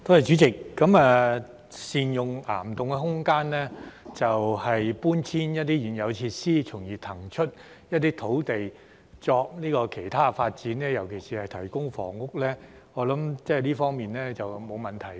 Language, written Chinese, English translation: Cantonese, 主席，善用岩洞空間，搬遷一些現有設施，從而騰出一些土地作其他發展，尤其是提供房屋，我想這方面是沒有問題的。, President I think there is no problem in making good use of cavern space and relocating some existing facilities to release some land for other development especially the provision of housing